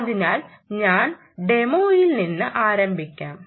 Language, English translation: Malayalam, so let me start with the demo one